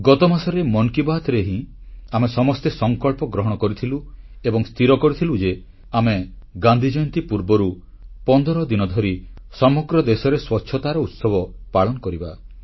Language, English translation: Odia, My dear countrymen, we had taken a resolve in last month's Mann Ki Baat and had decided to observe a 15day Cleanliness Festival before Gandhi Jayanti